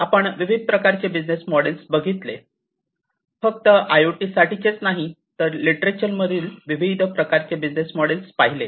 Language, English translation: Marathi, The business models, the different types of business models not just for IoT, but the different types of business models that are there in the literature